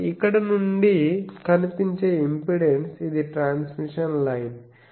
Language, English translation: Telugu, So, the impedance that is seen from here this is the transmission line